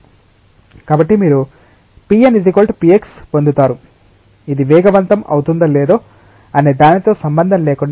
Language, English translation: Telugu, Therefore, you get p n equal to p x irrespective of whether this is accelerating or not